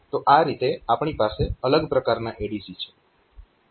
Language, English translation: Gujarati, And there are different types of ADC's ok